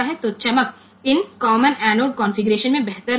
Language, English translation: Hindi, So, we have got this brightness will be better in this common anode configuration